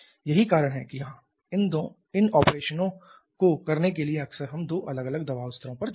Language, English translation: Hindi, That is why quite often we go for two different pressure levels to have these operations done